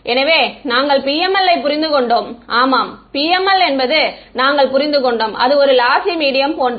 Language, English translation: Tamil, So, we have understood PML and we have understood that the PML is the same as a lossy media